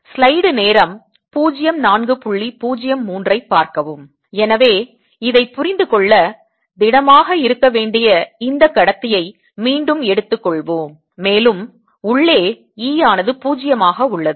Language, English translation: Tamil, so to understand this, let us again take this conductor, which is supposed to be solid and e zero inside